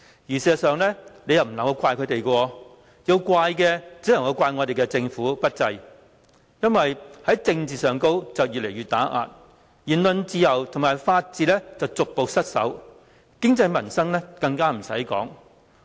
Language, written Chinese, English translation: Cantonese, 事實上，不能怪他們，要怪只可以怪政府不濟，政治打壓越來越嚴重，言論自由及法治逐步失守，經濟民生更不用說。, In fact we cannot blame them; instead the Government should be blamed for its incompetence . While political oppression has become increasingly serious freedom of speech and the rule of law are at stake not to mention problems associated with the economy and peoples livelihood